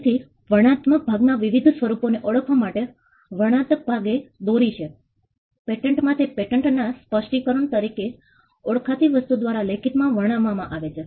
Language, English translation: Gujarati, So, the description part has led to various forms of recognizing the descriptive part, in a patent it is described in writing by something called a patent specification